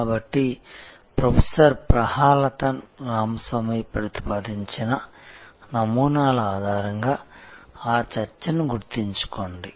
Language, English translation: Telugu, So, remember that discussion based on the models proposed by Professor Prahalathan Ramaswamy